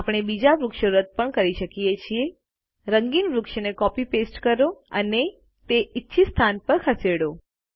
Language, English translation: Gujarati, We can also delete the other trees, copy paste the colored tree and move it to the desired location